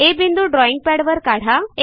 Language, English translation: Marathi, Mark a point A on the drawing pad